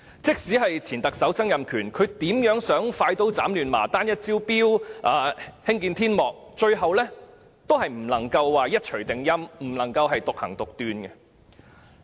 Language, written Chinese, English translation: Cantonese, 即使前特首曾蔭權希望快刀斬亂麻，單一招標、興建天幕，最後也無法一錘定音，獨斷獨行。, The former Chief Executive Donald TSANG once wished to cut the Gordian knot by inviting a single tender and building a glass canopy but eventually he could not call the shots and act arbitrarily